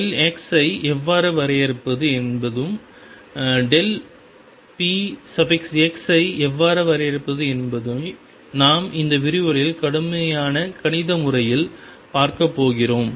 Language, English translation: Tamil, How do we define delta x how do we define delta px we are going to see it in a mathematical rigorous manner in this lecture